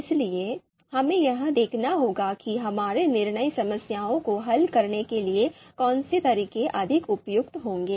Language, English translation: Hindi, So we have to based on that, we have to see which one which methods are going to be more suitable to solve our decision problems